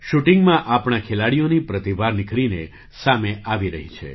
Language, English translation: Gujarati, In shooting, the talent of our players is coming to the fore